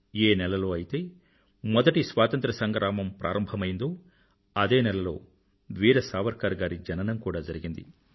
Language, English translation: Telugu, It is also an amazing coincidence that the month which witnessed the First Struggle for Independence was the month in which Veer Savarkar ji was born